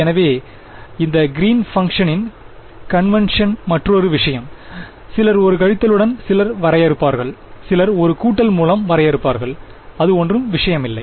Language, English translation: Tamil, So, that is another matter of convention with these greens function some people will define with a minus some people define with a plus does not matter ok